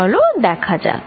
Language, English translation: Bengali, Let us see that